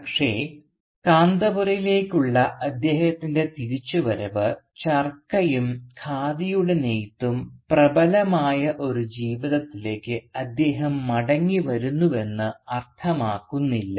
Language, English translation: Malayalam, But his return to Kanthapura does not automatically mean that he returns to a life where the Charka and where weaving of the Khadi is predominant